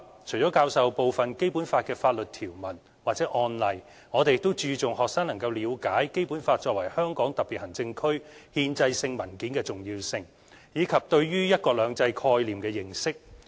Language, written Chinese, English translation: Cantonese, 除了教授部分《基本法》的法律條文或案例，我們也注重學生能夠了解《基本法》作為香港特別行政區憲制性文件的重要性，以及對於"一國兩制"概念的認識。, Apart from teaching some Articles of the Basic Law or related court cases we also make special efforts to enhance students understanding of the importance of the Basic Law as a constitutional document of the HKSAR and the concept of one country two systems